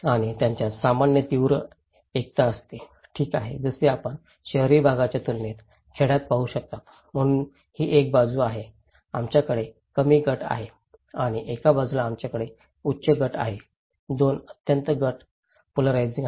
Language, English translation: Marathi, And they have share common very strong solidarity, okay like you can see in the villages compared to urban areas, so this is one side, we have a low group and one on the side we have high group; 2 extreme group polarizing